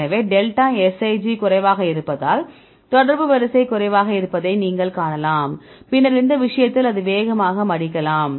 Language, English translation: Tamil, So, you can see contact order is less because delta Sij is less right, then in this case, it can fold faster